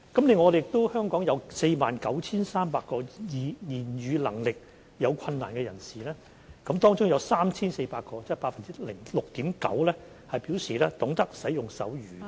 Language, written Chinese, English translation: Cantonese, 另外，香港有 49,300 名言語能力有困難的人士，當中有 3,400 名，即 6.9% 表示懂得使用手語。, Besides there were 49 300 people with speech difficulty . Of these 3 400 people or 6.9 % of the total knew how to use sign language